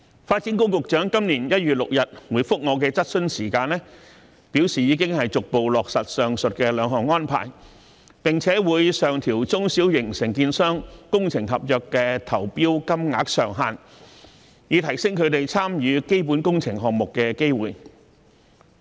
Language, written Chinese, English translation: Cantonese, 發展局局長在今年1月6日回覆我的質詢時，表示已經逐步落實上述兩項安排，並會上調中小型承建商工程合約的投標金額上限，以提升它們參與基本工程項目的機會。, In reply to my question on 6 January this year the Secretary for Development said that the above two arrangements had been put in place gradually and the group tender limits for small and medium - sized contractors would be raised to provide them with more opportunities to participate in capital works projects